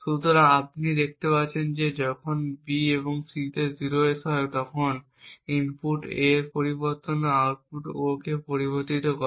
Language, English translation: Bengali, So over here you see that when B and C are 0s a change in input A also affects the output O